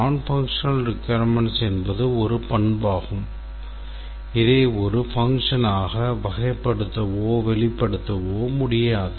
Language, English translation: Tamil, A non functional requirement is a characteristic which cannot be characterized or expressed as a function